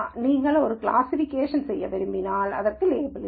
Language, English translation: Tamil, Then if you want to do a classification there is no label for this